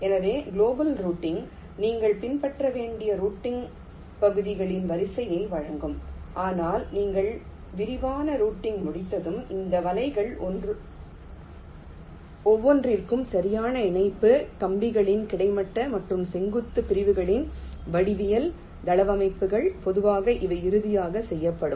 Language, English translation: Tamil, so global routing will give you the sequence of routing regions that need to be followed, but once you are in the detailed routing step, for each of these nets, the exact connection, the geometrical layouts of the wires, horizontal and vertical segments